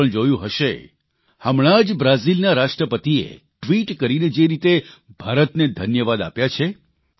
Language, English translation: Gujarati, You must also have seen recently how the President of Brazil, in a tweet thanked India every Indian was gladdened at that